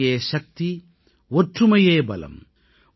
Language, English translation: Tamil, Unity is Power, Unity is strength,